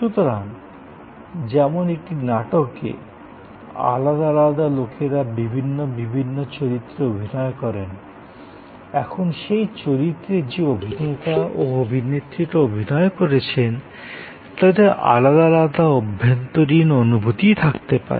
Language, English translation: Bengali, So, just as in a play in a theater, there are different characters in different roles, now those characters, those actors and actresses as they perform may have different inner feelings